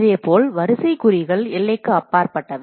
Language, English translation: Tamil, Similarly, array indices out of bounds